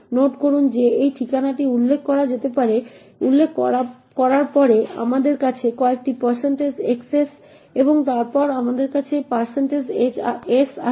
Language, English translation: Bengali, Note that after specifying this address and we have a couple of % xs and then a % s